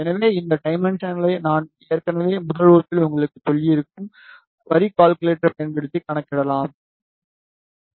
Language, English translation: Tamil, So, these dimensions you can calculate using the line calculator that I have already told you in the first class